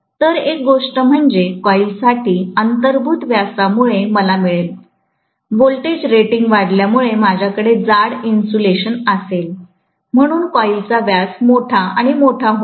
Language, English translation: Marathi, So, one thing is because of the inherent diameter I will get for the coil, as the voltage rating increases, I will have thicker insulation, so the diameter of the coil will become larger and larger